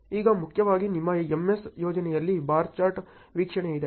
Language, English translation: Kannada, Now, primarily in your MS project, there is a bar chart view